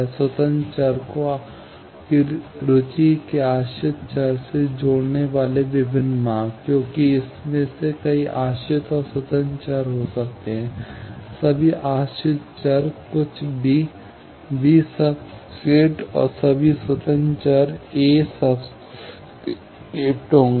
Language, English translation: Hindi, Various paths connecting the independent variable to the dependent variable of your interest, because, there may be several dependent and independent variables in that; all dependent variables will be b something, b subscript, and all independent variables are a subscript